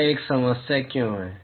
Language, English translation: Hindi, Why is that a problem